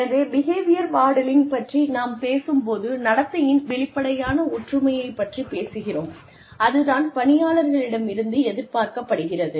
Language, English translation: Tamil, So, when we talk about behavior modelling, we are talking about physical similarity of the behavior, that is expected of the employee